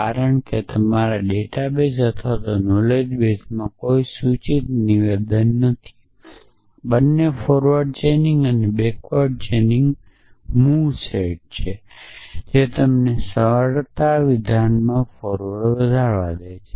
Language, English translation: Gujarati, Because in your in your data base or knowledge base there are no implication statements both forward chaining and backward chaining move set of allow you to move across simplification statement